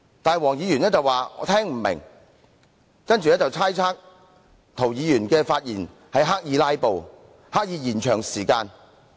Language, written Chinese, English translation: Cantonese, 不過，黃議員說聽不明白，然後便猜測涂議員的發言是刻意"拉布"和拖延時間。, However Mr WONG said he did not understand Mr TOs speech and then speculated that Mr TO was deliberately filibustering and stalling for time